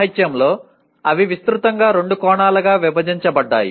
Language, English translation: Telugu, In the literature they are broadly divided into two aspects